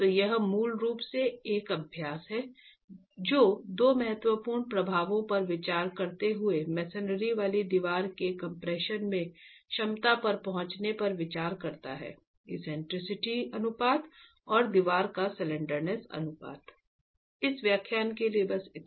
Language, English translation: Hindi, So, this is basically an exercise that looks at arriving at the compressive, the capacity in compression of a masonry wall, considering two important effects, the eccentricity ratio and the slenderness ratio of the wall itself